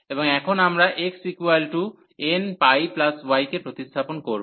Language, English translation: Bengali, And here also we have substituted for x that is n pi plus y